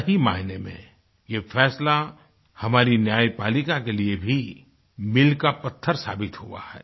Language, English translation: Hindi, In the truest sense, this verdict has also proved to be a milestone for the judiciary in our country